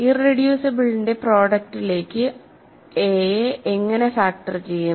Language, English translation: Malayalam, So, we if how do we factor a into a product of irreducibles